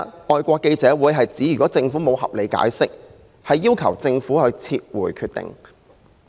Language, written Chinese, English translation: Cantonese, 外國記者會表明，如果政府沒有合理解釋，會要求政府撤回決定。, FCC said that if the Government did not provide a reasonable explanation it would ask the Government to withdraw its decision